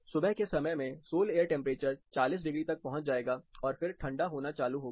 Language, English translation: Hindi, The sol air temperature will go as high as 40 degree in the morning and then it will cool down